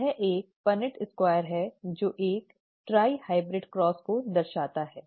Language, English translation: Hindi, This is a Punnett square it shows a tri hybrid cross